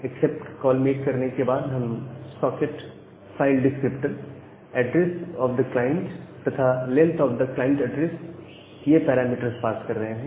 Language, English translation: Hindi, So, after we are making the accept call the accept call, we are passing the parameter as the socket file descriptor, the address of the client and a length of the client address if there is an error